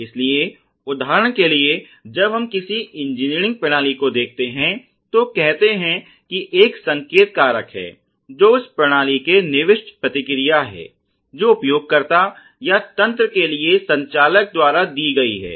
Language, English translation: Hindi, So, for example, let say when we look at any engineering system as I told you there is something called a signal factor which is the input response to the system that has been given by a user or an operator for the system